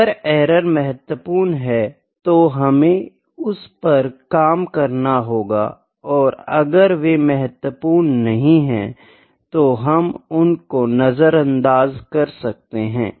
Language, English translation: Hindi, If the errors are significant, we need to work on that, if there were not significant we might ignore that